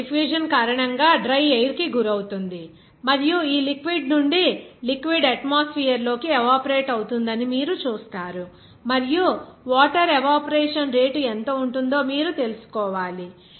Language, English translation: Telugu, It is exposed to the dry air and because of this diffusion, you will see that the liquid will be evaporating to the atmosphere from this liquid and you have to find out then what should be the rate of evaporation of this water